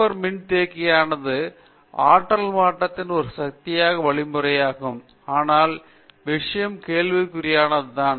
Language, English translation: Tamil, So, super capacitor, super capacitor also is a possible means of energy conversion divisor, but only thing is the materials in question